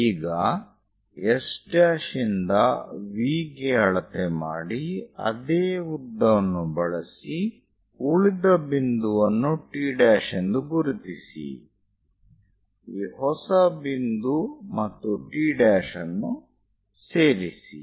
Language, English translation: Kannada, Measure from S dash to V, use the same length; mark other point T dash, join T dash and a new point